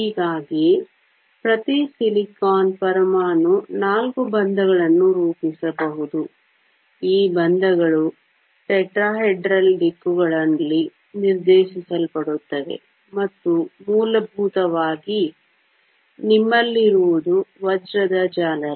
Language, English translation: Kannada, Thus, each silicon atom can form four bonds, these bonds are directed in the tetrahedral directions, and essentially, what you have is a diamond lattice